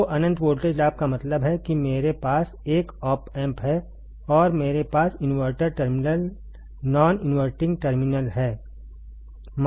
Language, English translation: Hindi, So, that mean that what does it mean infinite voltage gain means suppose I have a op amp suppose I have op amp and I have inverting terminal non inverting terminal right